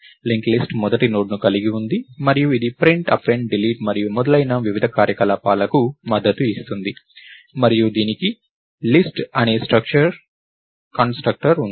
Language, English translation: Telugu, So, the linked list has a first node and it supports various operations like Print, Append, Delete and so, on and it has a constructor called List